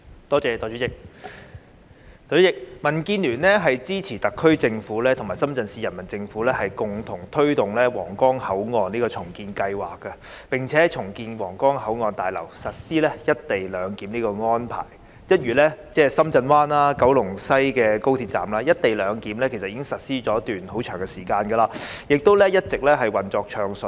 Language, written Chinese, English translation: Cantonese, 代理主席，民主建港協進聯盟支持特區政府和深圳市人民政府共同推動皇崗口岸重建計劃，並在重建後的皇崗口岸大樓實施"一地兩檢"的安排，一如深圳灣、高鐵西九龍站，"一地兩檢"安排其實已實施一段很長的時間，亦一直運作暢順。, Deputy President the Democratic Alliance for the Betterment and Progress of Hong Kong DAB supports the Hong Kong Special Administrative Region HKSAR Government in collaborating with the Shenzhen Municipal Government to press ahead the redevelopment of the Huanggang Port and to implement co - location arrangement at the redeveloped Huanggang Port building . As at Shenzhen Bay and the High Speed Rail stations in West Kowloon the co - location arrangement has actually been implemented for a very long time and operating smoothly